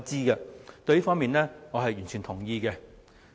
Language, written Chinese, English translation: Cantonese, 我對此方面是完全同意的。, I agree with the proposal in this regard